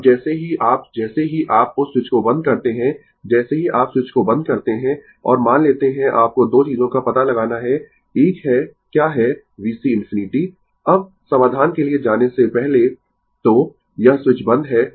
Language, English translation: Hindi, Now, as soon as you as soon as you close that switch right, as soon as you close the switch and suppose you have to find out 2 things; one is what is V C infinity, now now, before going for the solution, so, this switch is closed